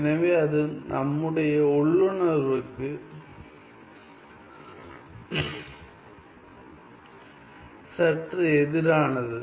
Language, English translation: Tamil, So, that is the slightly against the intuition that we have